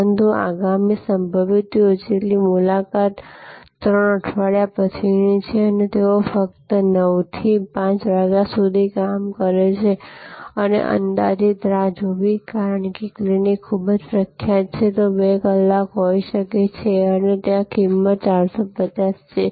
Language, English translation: Gujarati, But, the next possible appointment is 3 weeks later and they operate only 9 to 5 pm and the estimated wait because that clinic is very highly recommended may be 2 hours and there price is 450